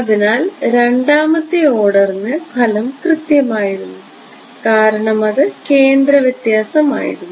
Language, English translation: Malayalam, So, advantage was accurate to second order right because its a centre difference ok